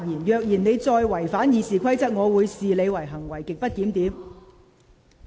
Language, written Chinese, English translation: Cantonese, 如果你再違反《議事規則》，我會視之為行為極不檢點。, If you break the Rules of Procedure again I will treat this as grossly disorderly conduct